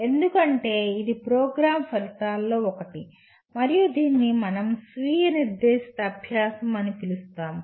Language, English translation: Telugu, Because that is one of the program outcomes as well that is self directed learning as we call